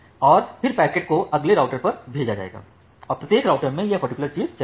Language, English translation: Hindi, And then the packet will be sent to the next router, and in every router this particular thing will run